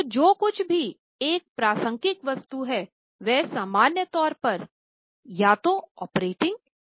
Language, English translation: Hindi, So, whatever is a relevant item, normally it is either operating or investing